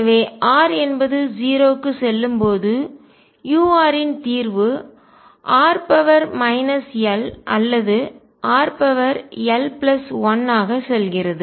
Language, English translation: Tamil, So, the solution u r as r tends to 0 goes as either r raised to minus l or r raise to l plus 1